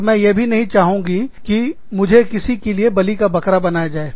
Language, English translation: Hindi, And, i do not want to be, the scapegoat, for anyone